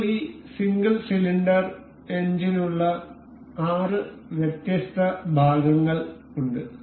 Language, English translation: Malayalam, Now, we have the 6 different parts for this single cylinder engine